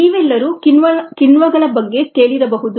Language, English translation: Kannada, all of you would have heard of enzymes